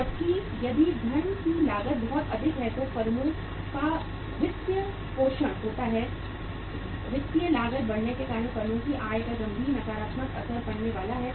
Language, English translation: Hindi, Whereas if the cost of the funds is very high so the firms finances, firms incomes are going to be impacted seriously, negatively because of the increased financial cost